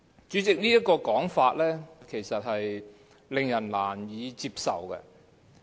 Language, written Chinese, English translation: Cantonese, 主席，這種說法其實是令人難以接受的。, Chairman this point of view is hardly acceptable